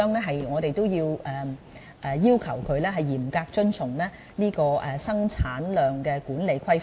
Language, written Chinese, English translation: Cantonese, 所以，我們會要求製造商嚴格遵從生產質量管理規範。, Therefore we will require manufacturers to strictly comply with GMP